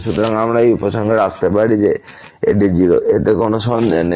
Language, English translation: Bengali, So, we can conclude that this is 0, no doubt about it